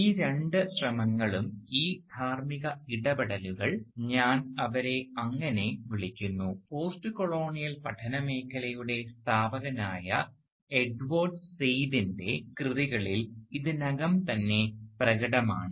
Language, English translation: Malayalam, Both of these efforts, these ethical interventions, I would call them, are already prominently displayed in the works of Edward Said, the founding figure in the field of postcolonial studies